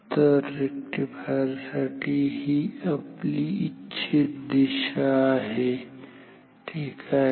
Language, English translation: Marathi, So, this is the desired direction of the rectifier ok